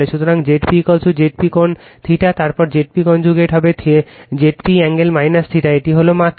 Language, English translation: Bengali, So, Z p is equal to Z p angle theta, then Z p conjugate will be Z p angle minus theta, this is magnitude right